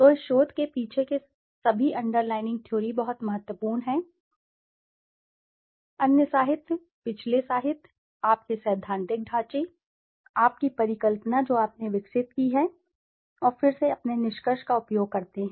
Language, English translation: Hindi, So, what are all the underlying theory behind this research is very important, what are the variables used from the other literatures, previous literatures, your theoretical framework, your hypothesis that you have developed and again your conclusion